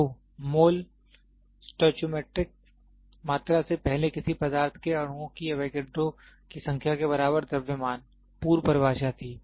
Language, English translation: Hindi, So, the mole prior the stoichiometric quantity which is equivalent mass in grams of Avogadro’s number of molecules of a substance was the prior definition